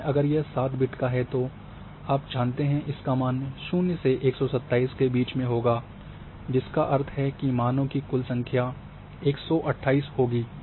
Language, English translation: Hindi, But if it is 7 bits then you know that it would be the value between 0 to 127 that means total number of values are going to be 128